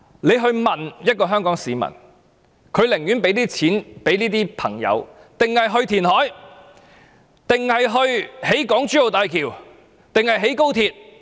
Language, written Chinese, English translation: Cantonese, 你且去問一名香港市民，他寧願將錢給這些朋友，還是用作填海，還是興建港珠澳大橋，還是興建高鐵？, Just go and ask any Hong Kong citizens on the street . Would they prefer using the money on rare disease patients or using it on reclamation projects or constructing the Hong Kong - Zhuhai - Macao Bridge or high speed rail?